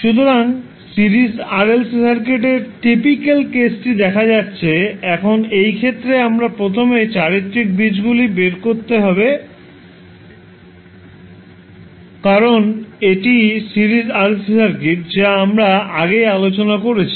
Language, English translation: Bengali, So we see the typical case of Series RLC Circuit, now in this case what we have to do we have to first find out the characteristic roots because it is series (())(06:57) RLC circuit we discussed what will be the value of the characteristic roots